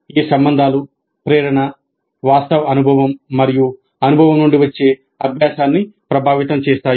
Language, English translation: Telugu, These relationships influence the motivation, the actual experience and the learning that results from the experience